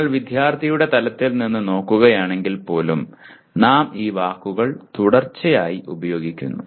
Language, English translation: Malayalam, If you look at even at student’s level, we keep using these words